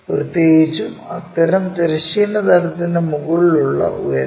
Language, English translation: Malayalam, Especially, height above horizontal plane for such kind of points